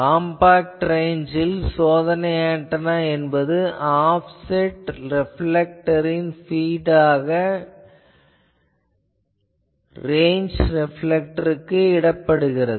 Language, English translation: Tamil, In compact range what the, it is run the test antenna is put as a feed of an offset reflector and this feed is put to a range reflector